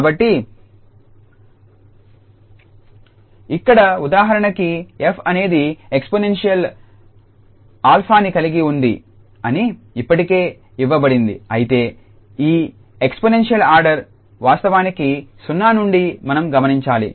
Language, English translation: Telugu, So, here it is already given that this f is a for instance the exponential order alpha but what we should notice that this exponential order will be actually 0